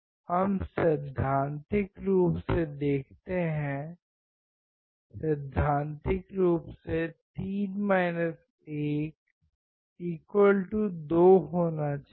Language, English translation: Hindi, Let us see theoretically; theoretically should be 3 1=2